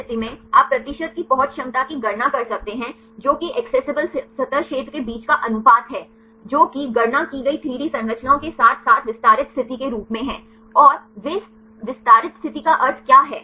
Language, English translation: Hindi, In this case you can calculate the percentage accessibility that is the ratio between the accessible surface area, which are computed 3D structures as well extended state what is they meaning of extended state